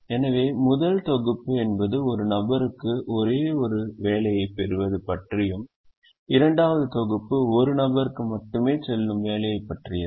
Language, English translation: Tamil, so first set is about a person getting only one job and the second set is about a job going to only one person